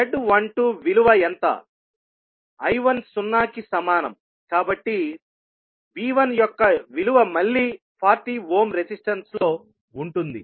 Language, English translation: Telugu, Since, I1 is equal to 0, the value of V1 would be across again the 40 ohm resistance